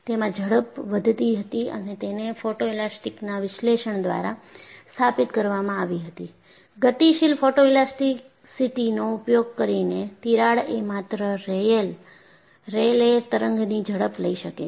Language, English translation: Gujarati, The speed was increasing and it has been established by photoelastic analysis; using, Dynamic photoelasticity that the crack can take only the Rayleigh wave speed